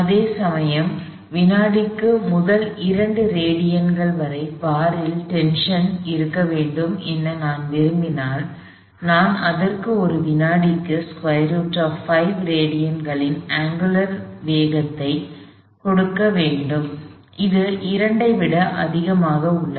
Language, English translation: Tamil, Whereas, if I want the bar to remain under tension all the way to the top 2 radians per second is not enough, I have to give it in a angular velocity of square root of 5 radians per second, square root of 5 is much greater than 2 in the sense of, it is greater than 2